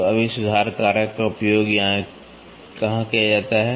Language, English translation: Hindi, So, now where is this correction factor used